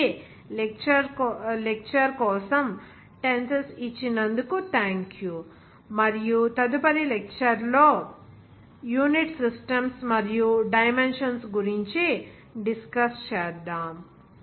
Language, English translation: Telugu, So thank you for giving that tenseness for lecture and the next lecture will discuss something about that unit systems and dimension